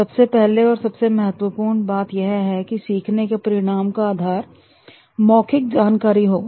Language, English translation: Hindi, First and foremost will be the learning outcomes will be depending on the verbal information